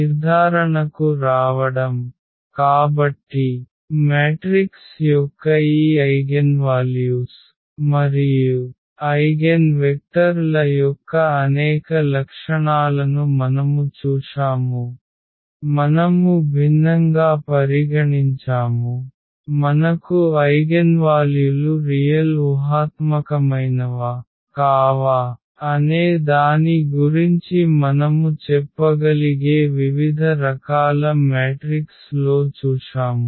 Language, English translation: Telugu, Getting to the conclusion, so we have seen several properties of this eigenvalues and eigenvectors of a matrix, we have considered different; different types of matrices where we can tell about whether the eigenvalues will be real imaginary if your imaginary you are 0